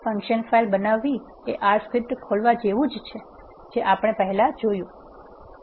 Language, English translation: Gujarati, Creating a function file is similar to opening an R script which we have already seen